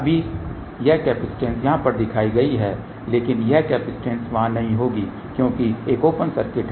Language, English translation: Hindi, Now this capacitance is shown over here, but that capacitance won't be there because there is an open circuit